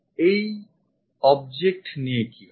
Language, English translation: Bengali, How about this object